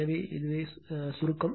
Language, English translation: Tamil, So, this is the summary